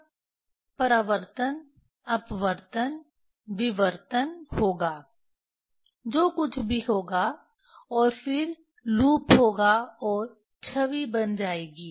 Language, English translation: Hindi, Then there will be reflection, refraction, diffraction whatever something will happen and then there will loop and there will fall image